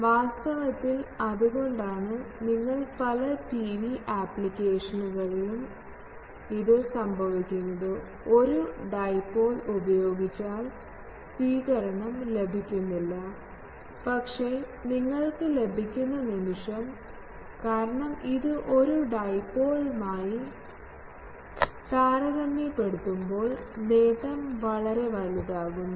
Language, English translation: Malayalam, Actually, that is why if you in many TV applications it becomes that, you put a single dipole you are not getting the reception, but the moment you get, because it is making your gain quite large compared to a dipole and that gives you this